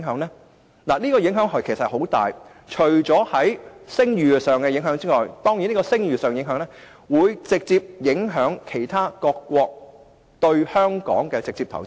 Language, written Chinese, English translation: Cantonese, 其實，會有很大影響，包括會令聲譽受損，從而直接影響其他各國對香港的投資。, In fact the impacts will be considerable including loss of credibility which will directly affect the investment by other countries in Hong Kong